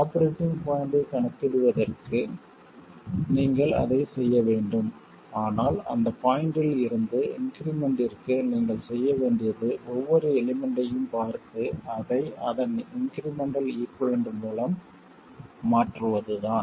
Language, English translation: Tamil, You have to do it for calculating the operating point, but that point onwards for increments, all you have to do is look at each element and replace it by its incremental equivalent